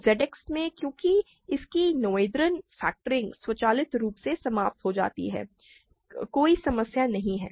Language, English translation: Hindi, In ZX because its noetherian factoring terminates automatically, there is no problem